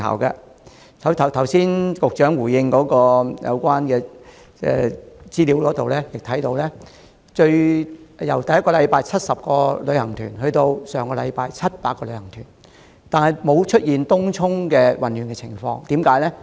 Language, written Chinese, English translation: Cantonese, 局長剛才作答時所提供的資料顯示，雖然旅行團數目由首星期的70個增至上星期的700個，但東涌的混亂情況並沒有重演。, The information provided in the Secretarys earlier reply shows that despite an increase in the number of tour groups from 70 in the first week to 700 last week the chaos in Tung Chung has not occurred again